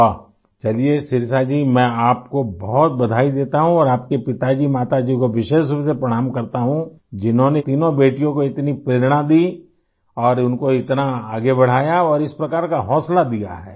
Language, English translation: Hindi, Great… Shirisha ji I congratulate you a lot and convey my special pranam to your father mother who motivated their three daughters so much and promoted them greatly and thus encouraged them